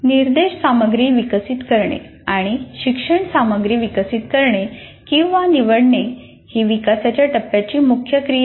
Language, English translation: Marathi, And develop instructional materials and develop or select learning materials is the main activity of development phase